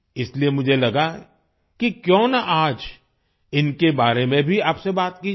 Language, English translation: Hindi, That's why I thought why not talk to you about him as well today